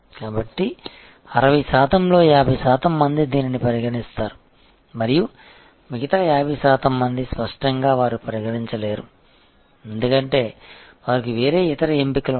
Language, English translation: Telugu, So, 50 percent will consider of this 60 percent and 50 percent; obviously, they cannot consider, because they have different other options